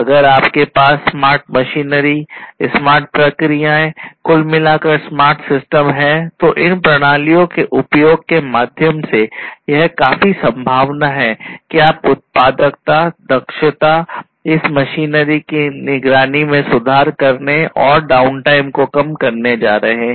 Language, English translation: Hindi, So, if you have smarter machineries, smarter processes, smarter systems overall, it is quite likely through the use of these systems you are going to have improved productivity, efficiency, you know, improved monitoring of this machinery, reducing the down time and so on